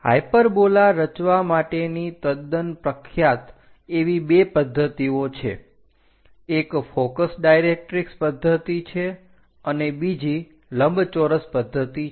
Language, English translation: Gujarati, There are two methods quite popular for constructing hyperbola; one is focus directrix method, other one is rectangle method